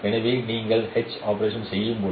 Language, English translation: Tamil, So when you perform this you perform H operation